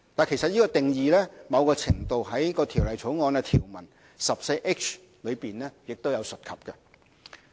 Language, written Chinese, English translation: Cantonese, 其實，這定義某程度在《條例草案》的條文第 14H 條有提及。, In fact the definition is to a certain extent mentioned in the proposed section 14H of the Bill